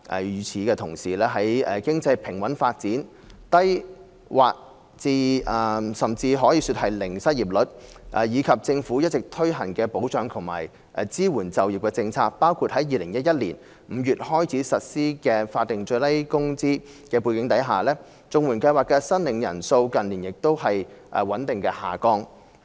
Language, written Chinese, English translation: Cantonese, 與此同時，在經濟平穩發展，失業率之低可說是全民就業，以及政府一直推行保障及支援就業政策——包括2011年5月起實施的法定最低工資——的背景下，綜援計劃的申領人數近年亦穩步下降。, Meanwhile against the backdrop of a steadily growing economy a state of full employment with the unemployment rate hovering at so low a level and the Governments ongoing efforts in implementing measures that assure and support employment―including the introduction of the Statutory Minimum Wage in May 2011 the number of CSSA applicants has declined steadily in recent years